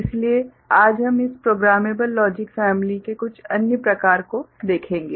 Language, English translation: Hindi, So, today we shall look at some other variety of this programmable logic family